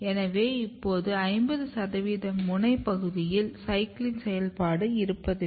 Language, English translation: Tamil, So, if you have now around 50 percent of the tip region they do not have cyclin activity